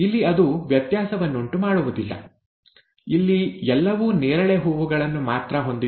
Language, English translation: Kannada, Here it does not make a difference; here everything had only purple flowers